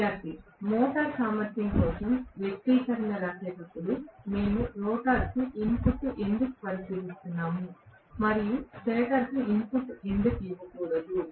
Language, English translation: Telugu, Student: While writing the expression for efficiency of the motor why are we considering the input to the rotor and why not the input to the stator